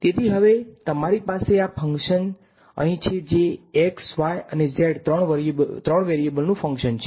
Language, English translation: Gujarati, So, now, you have this function f over here which is function of three variables x, y and z